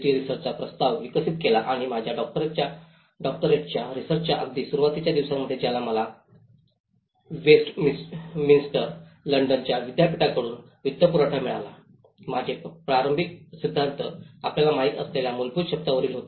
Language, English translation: Marathi, D research and in the very early days of my Doctoral research which I got funded from the same University of Westminster London, my initial theories were in the basic terminology you know